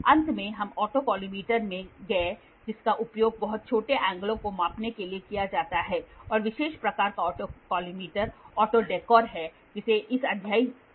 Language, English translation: Hindi, Finally we went into auto collimator which is used for measuring very small angles and special type of autocollimator is auto dekkor this was also covered in this chapter